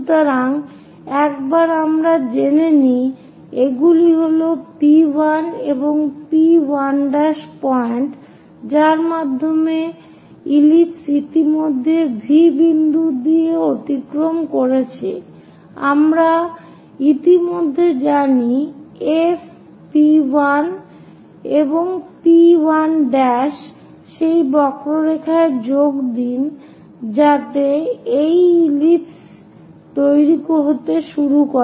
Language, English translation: Bengali, So, once we know these are the points P1 and P 1 prime through which ellipse is passing already V point we already know focus F P 1 P 1 prime join that curve so that an ellipse begin to constructed